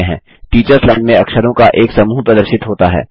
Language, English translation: Hindi, The Teachers Line displays the characters that have to be typed